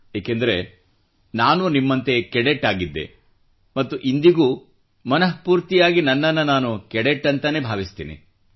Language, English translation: Kannada, More so, since I too have been a cadet once; I consider myself to be a cadet even, today